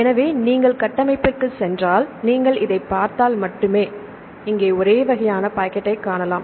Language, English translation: Tamil, So, if you go to the structure, if you see this only you can see a kind of pocket here, right